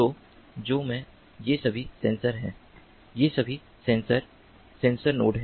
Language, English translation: Hindi, these are all sensors, these are all sensors, sensor nodes